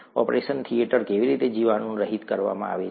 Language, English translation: Gujarati, How is an operation theatre sterilized